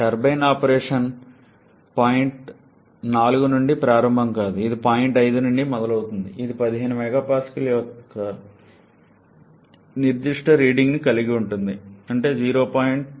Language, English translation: Telugu, And the turbine operation does not start from point 4, it starts from point 5 which has this particular reading of 15 MPa that is there is a 0